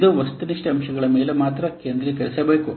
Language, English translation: Kannada, It should only concentrate on the objective factors